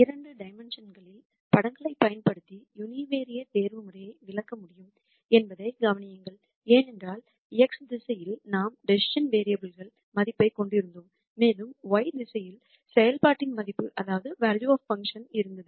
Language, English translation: Tamil, Notice that we could explain univariate optimization using pictures in two dimensions that is because in the x direction we had the decision variable value and in the y direction we had the value of the function